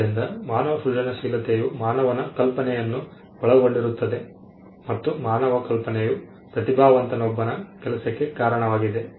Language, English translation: Kannada, So, human creativity revolved around human imagination and human imagination was something that was attributed to the work of a genius